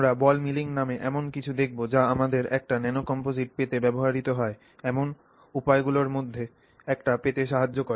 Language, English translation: Bengali, We will look at something called ball milling which is used to help us which is one of the ways in which you can get a nano composite